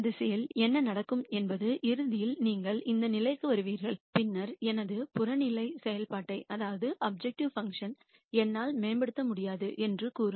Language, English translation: Tamil, And what will happen is ultimately you will get to this point and then say I cannot improve my objective function anymore